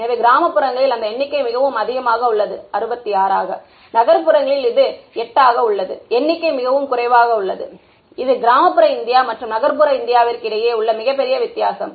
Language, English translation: Tamil, So, that number in rural areas is very large, 66, in urban areas it is much less it is 8 right, it is a huge difference between rural India and urban India and